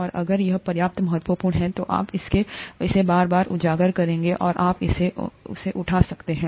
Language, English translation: Hindi, And if it is important enough, then you would be repeatedly exposed to it and you can pick it up